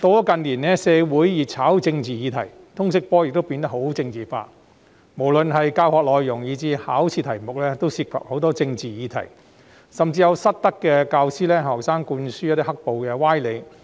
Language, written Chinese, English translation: Cantonese, 近年社會熱炒政治議題，通識科亦變得政治化，不論教學內容或考試題目均涉及政治議題，甚至有失德教師向學生灌輸"黑暴"歪理。, Given that political issues have become a heated topic in the community in recent years the LS subject has also become politicized . Both the teaching content and examination questions are related to political issues and some misbehaving teachers have even instilled into students the idea of black - clad violence